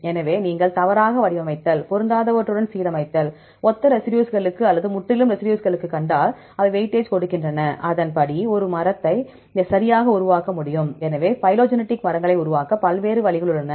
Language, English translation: Tamil, So, if you have the misalignment, the alignment with mismatches, see similar residues or completely different residues, they give weightage, accordingly they can also develop a tree right, so different ways to construct phylogenetic trees